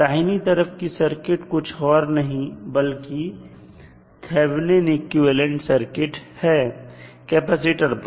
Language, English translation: Hindi, The right side of that is nothing but Thevenin equivalent which is applied across the capacitor